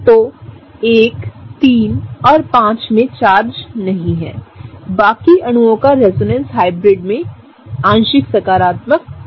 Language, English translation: Hindi, So, 1, 3 and 5 do not have charges, the rest of the molecules will have a partial positive in the resonance hybrid